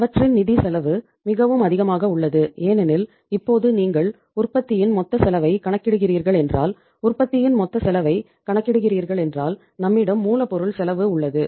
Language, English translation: Tamil, And their financial cost is so high because now if you are calculating the total cost of the product if you are calculating the total cost of the product, we have the raw material cost